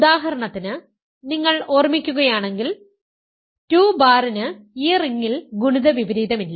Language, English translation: Malayalam, So, for example, if you take remember 2 bar has no multiplicative inverse in this ring